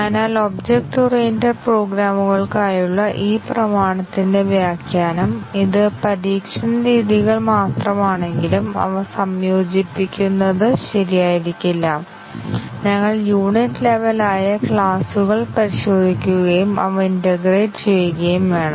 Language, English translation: Malayalam, So, the interpretation of this axiom for object oriented programs is that we cannot consider methods as even it is just testing methods and then integrating them may not be correct, we need to test the classes it is the unit level and integrate the classes